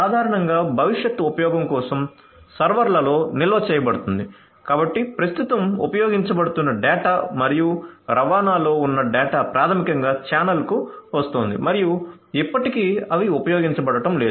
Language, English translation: Telugu, So, typically you know stored in the servers for future use so data at rest data in use the data that are currently being used and data in transit are basically coming to the channel and still they are not being used